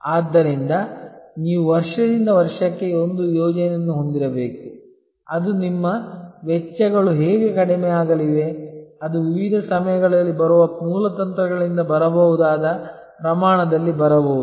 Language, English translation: Kannada, So, you have to have a plan which is year upon year how your costs are going to slight down that could be coming from in the scale that could be coming from different times of sourcing strategies